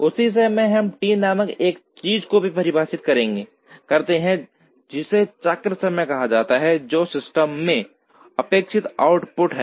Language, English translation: Hindi, At the same time we also define something called T called cycle time, which is the expected output from the system